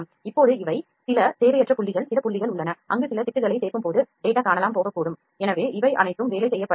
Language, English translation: Tamil, Now these are some unwanted dots there are certain points where the data might be missing when it will add some patches there so all these need to be worked on